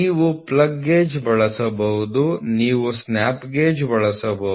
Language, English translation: Kannada, So, you can use a plug gauge you can use a snap gauge